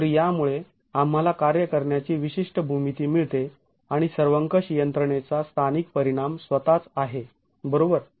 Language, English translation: Marathi, So this gives us a certain geometry to work with and an effect of the local effect of a global mechanism itself